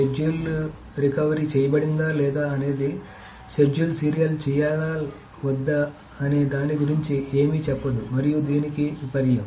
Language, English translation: Telugu, So whether the schedule is recoverable or not says nothing about whether the schedule is serializable or not and vice versa